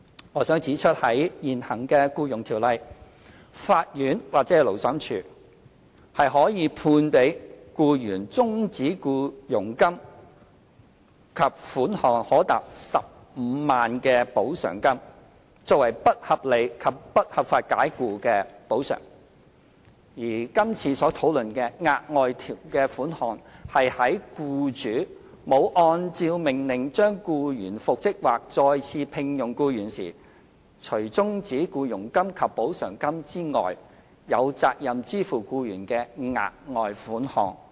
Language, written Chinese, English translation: Cantonese, 我想指出在現行《僱傭條例》下，法院或勞審處可判給僱員終止僱傭金及款項可達15萬元的補償金，作為不合理及不合法解僱的補償，而今次所討論的額外款項是在僱主沒有按照命令將僱員復職或再次聘用僱員時，除終止僱傭金及補償金之外，有責任支付僱員的額外款項。, I wish to point out that under the Ordinance the court or Labour Tribunal may award an employee a terminal payment and compensation up to 150,000 to compensate for unreasonable and unlawful dismissal . The further sum under discussion now is an extra payment that the employer is liable to pay the employee other than the terminal payment and compensation if the employer fails to reinstate or re - engage the employee as required by the order